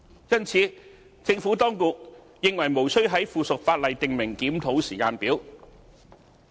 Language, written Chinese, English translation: Cantonese, 因此，政府當局認為無須在附屬法例訂明檢討時間表。, As such the Administration does not consider it necessary to specify a review timetable in the subsidiary legislation